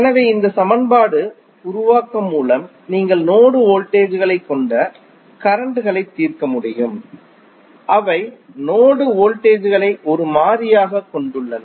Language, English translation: Tamil, So, with this equation creation you can solve the circuits which are having node voltages, which are having node voltages as a variable